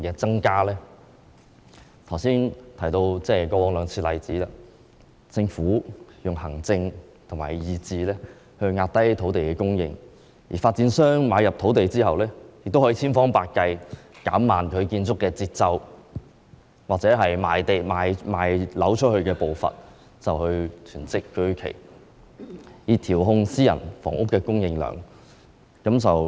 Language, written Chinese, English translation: Cantonese, 我剛才提到過去兩次出現的情況，政府均以行政和意志壓低土地供應，而發展商買入土地後，也可千方百計減慢其建築節奏或出售樓宇的步伐，囤積居奇，以調控私營房屋的供應量。, Just now I said that the same happened twice before and in both of these cases the Government had by administrative measures and by imposing its will suppressed the supply of land and after the developers acquired the land they could by hook or by crook slow down the pace of development or the progress of the sale of properties . In this way they could hoard a large stock of housing and this in turn enabled them to control the supply of private housing